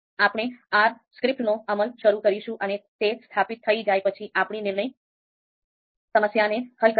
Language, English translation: Gujarati, So let it install and then we will start the execution of the R script and solve our decision problem